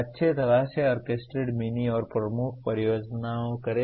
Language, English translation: Hindi, Do well orchestrated mini and major projects